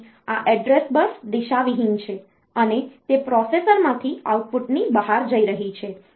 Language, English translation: Gujarati, So, this address bus is unidirectional, and it is going to the outside the output from the processor